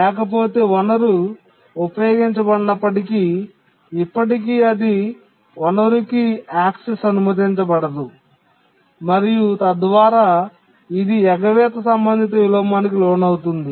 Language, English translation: Telugu, Otherwise even if the resource is unused still it will not be allowed access to the resource and we say that it undergoes avoidance related inversion